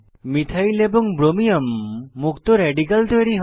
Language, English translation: Bengali, Click on Methane and Hydrogen bromide Methyl and Bromium free radicals are formed